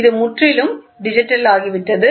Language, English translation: Tamil, It has become completely digital